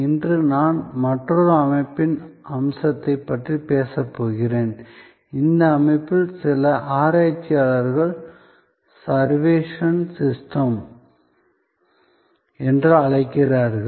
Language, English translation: Tamil, Today, I am going to talk about another systems aspect and this system, some researchers have called servuction system